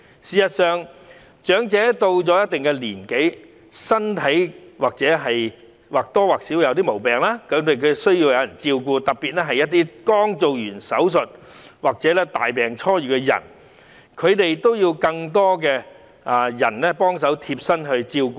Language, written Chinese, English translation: Cantonese, 事實上，長者到了一定年紀，身體多少會有點毛病，需要別人照顧，特別是剛完成手術或大病初癒的人，他們更需要貼身照顧。, In fact when elderly persons reach a certain age they will somehow have some physical problems and need to be taken care of . In particular people who has just undergone an operation or who has just recovered from a serious illness require more personal care